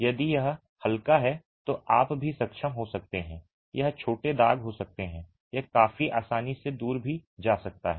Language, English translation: Hindi, If it is light you might be able to even, it may be small stains, it can even go away quite easily